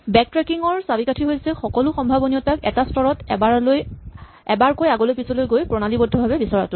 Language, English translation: Assamese, The key to backtracking is to do a systematic search through all the possibilities by going forwards and backwards one level at a time